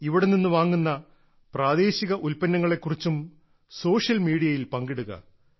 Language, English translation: Malayalam, Do share on social media about the local products you buy from there too